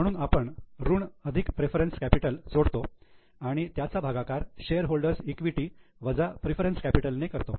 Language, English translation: Marathi, So, we add debt plus preference capital and divide it by shareholders equity minus the preference capital